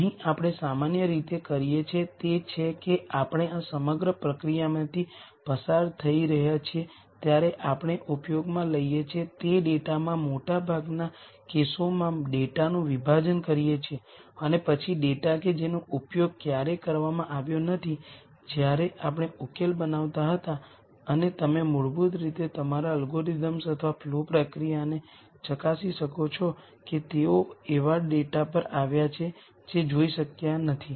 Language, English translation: Gujarati, Here what we typically do is we partition the data in most cases to data that we use while we are going through this whole process and then data that has never been used when we were developing the solution and you basically test your algorithms or the flow process that they have come up with on data that has not been seen